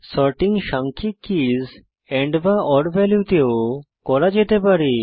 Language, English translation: Bengali, Sorting can also be done on numeric keys and/or values